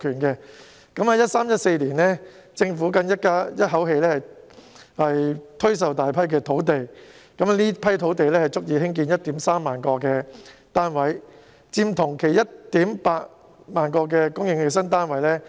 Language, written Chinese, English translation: Cantonese, 在 2013-2014 年度，政府更一口氣推售大批土地，這批土地足以興建 13,000 個單位，佔同期供應的 18,000 個新單位七成。, In 2013 - 2014 the Government put on sale a large number of sites in a row and these sites were sufficient for producing 13 000 flats which represented 70 % of the 18 000 new flats supplied in the same period